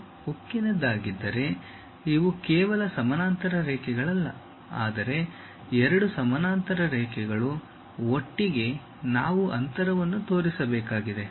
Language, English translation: Kannada, If it is a steel, these are not just parallel lines, but two parallel line together we have to show with a gap